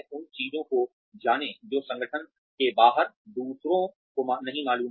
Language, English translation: Hindi, Know things that others, outside the organization, do not know